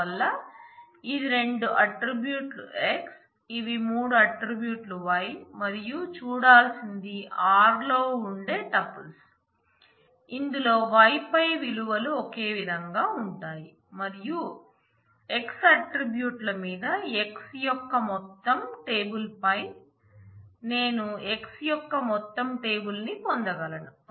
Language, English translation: Telugu, So, this is this is 2 attributes x, these are 3 attributes y and what I have to look for is those tuples in r where the values over y would be same and I should be able to get the whole table of x over whole table of the relation s over the x attributes